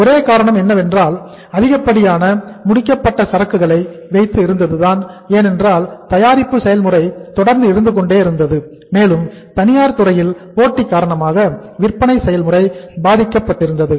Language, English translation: Tamil, The only reason was very high level of inventory of the finished goods because production process was continuous and selling process was affected because of the competition from the private sector so they had the high level of inventory